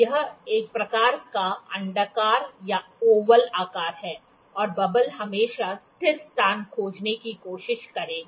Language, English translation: Hindi, It is a kind of an oval shape, and the bubble would always try to find the stable space